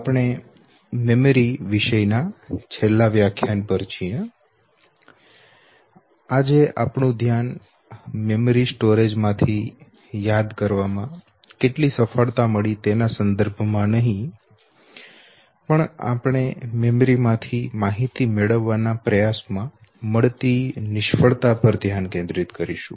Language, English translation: Gujarati, Now that we are on the last topic, today our focus would be not in terms of how much we succeeded recollecting from our memory storage rather we would focus upon the failure in the attempt to retrieve information from the memory, that is our focus will primarily be today on forgetting